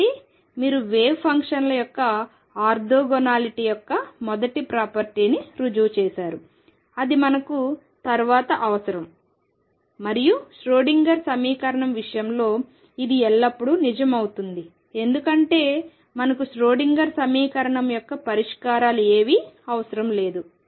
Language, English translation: Telugu, Therefore, you prove the first property of orthogonality of the wave functions, that is one thing we will require later and this is always going to be true in the case of Schrodinger’s equation because we require nothing just the solutions of the Schrodinger equation